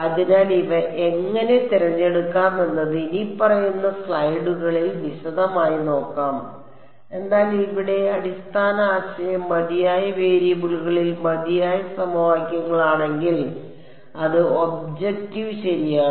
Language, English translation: Malayalam, So, how to choose these w ms we will look at in detail in the following slides ok, but if the basic idea here is enough equations in enough variables that is the objective ok